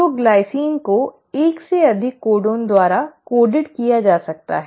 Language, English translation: Hindi, So the glycine can be coded by more than 1 codon